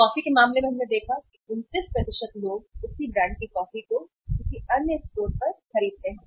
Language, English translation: Hindi, In case of the coffee in case of the coffee we have seen that 29% of the people buy the same brand coffee at another store